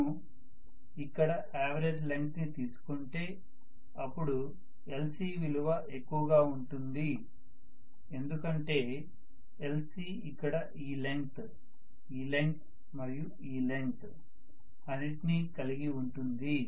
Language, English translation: Telugu, If I take the average length I should say l c is higher because l c consists of all this length and all this length and all this length and this length as well